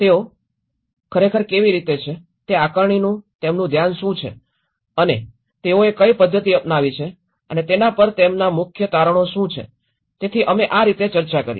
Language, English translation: Gujarati, How they have actually, what is their focus of that assessment and what methodology they have adopted and what are their key findings on it so this is how we discussed